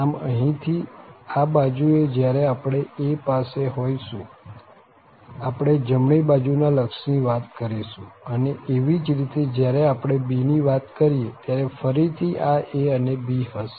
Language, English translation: Gujarati, So, here at this end when we are at a, we are talking about the right hand limit and similarly when we are talking about b, again we have this a and we have b